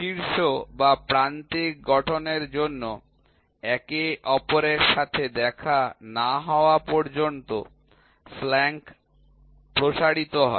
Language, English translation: Bengali, Flank are extended till they meet each other to form an apex or a vertex